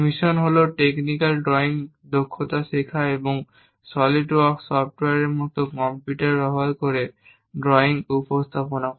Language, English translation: Bengali, The mission is to learn technical drawing skills and also use computers for example, a SOLIDWORKS software to represent drawings